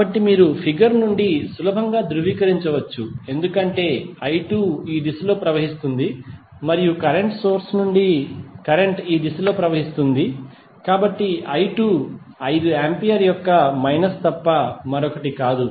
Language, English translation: Telugu, So, this you can easily verify from the figure because I 2 will flow in this direction and the current will from the current source will flow in this direction, so i 2 would be nothing but minus of 5 ampere